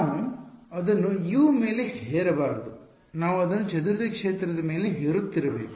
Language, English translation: Kannada, We should not be imposing it on U we should be imposing it on scattered field right